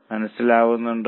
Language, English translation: Malayalam, Are you getting it